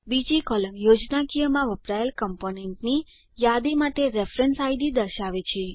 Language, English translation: Gujarati, The second column shows reference id for list of components used in schematic